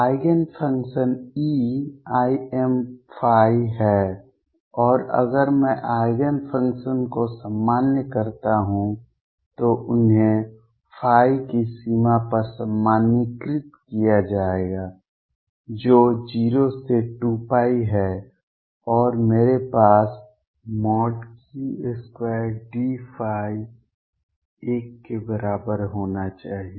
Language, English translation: Hindi, Eigenfunctions are e raise to i m phi and if I normalize the Eigenfunctions, they will be normalized over the range of phi which is 0 to 2 pi and I am going to have mod Q square d phi should be equal to 1